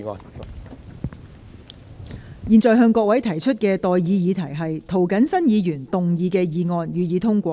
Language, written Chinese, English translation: Cantonese, 我現在向各位提出的待議議題是：涂謹申議員動議的議案，予以通過。, I now propose the question to you and that is That the motion moved by Mr James TO be passed